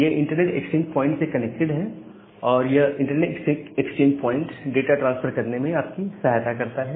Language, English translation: Hindi, They are connected to this internet exchange point and this internet exchange point, helps you to transfer the data